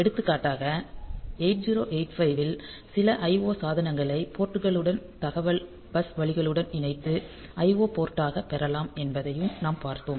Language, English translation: Tamil, So, for example, in 8 8 5 also we have seen that you can use you can connect some IO devices to the ports to the data bus line and get it as IO port